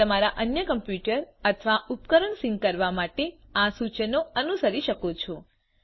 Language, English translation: Gujarati, You can follow these instructions to sync your other computer or device